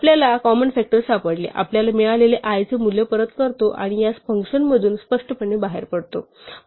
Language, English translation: Marathi, If we find the common factor we are done, we just return the value of i that we have found and we implicitly exit from this function